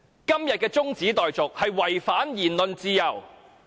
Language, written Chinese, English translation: Cantonese, 今天的中止待續議案違反言論自由。, Todays adjournment motion breaches the freedom of expression